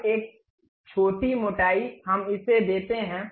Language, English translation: Hindi, Now, a small thickness let us give it